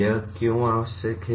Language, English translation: Hindi, Why is this necessary